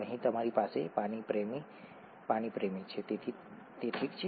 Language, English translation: Gujarati, Here you have water loving water loving so that’s okay